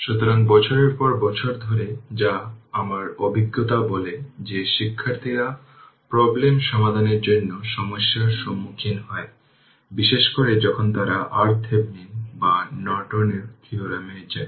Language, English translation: Bengali, So, whatever over the years my experience shows, that students they face problem for solving problem your numerical particularly, when they go for Thevenin’s theorem are Norton theorem